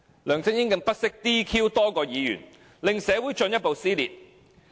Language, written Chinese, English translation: Cantonese, 梁振英更不惜 "DQ" 多名議員，令社會進一步撕裂。, LEUNG Chun - ying even did not hesitate to seek disqualification of a number of Members creating further social dissension